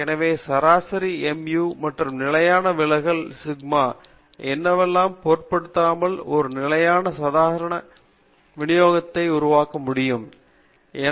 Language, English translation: Tamil, So we want to create a single standard normal distribution irrespective of what the mean mu and the standard deviation sigma are